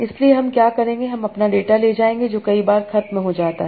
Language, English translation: Hindi, So what I will do, I'll take my data that is over several times